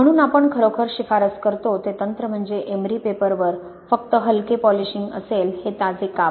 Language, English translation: Marathi, So the technique we really recommend is these fresh slices with just the light amount of polishing on an emery paper